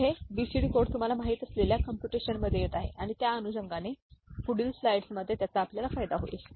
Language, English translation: Marathi, So, this is coming in computation with you know BCD code, and accordingly we shall see the benefit, in subsequent slides